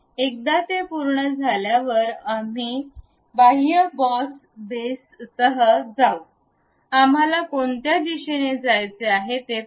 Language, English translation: Marathi, Once it is done, we go with extrude boss base, see in which direction we would like to have